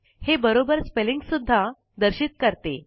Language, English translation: Marathi, It also displays the correct spelling